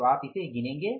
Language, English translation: Hindi, So, you will count this